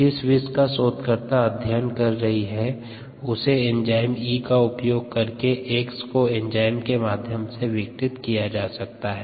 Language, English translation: Hindi, the particular toxin that she is studying, x, can be broken down enzymatically using the enzyme e